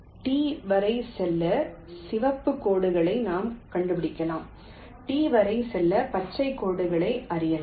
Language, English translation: Tamil, we can trace the red lines to go up to t, we can trace the green lines to go up to s